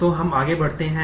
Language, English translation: Hindi, So, let us move on